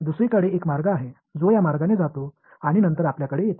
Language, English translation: Marathi, On the other hand there is a path that seems to go like this and then come to you over here ok